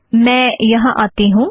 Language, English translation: Hindi, Let me come here